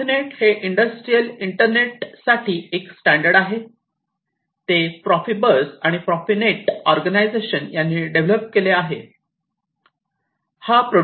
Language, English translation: Marathi, So, profinet is a standard for Industrial Ethernet, it was developed by the Profibus and Profinet Int organizations